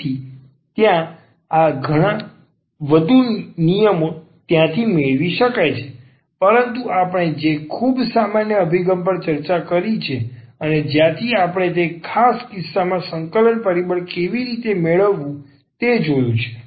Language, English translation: Gujarati, So, there are many more such rules can be derived from there, but what we have discussed a very general approach and from there also we have at least seen how to get the integrating factor in those special cases